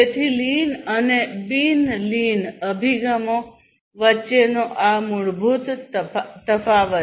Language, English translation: Gujarati, So, this fundamental difference between lean and the non lean approaches